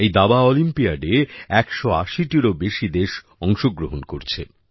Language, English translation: Bengali, This time, more than 180 countries are participating in the Chess Olympiad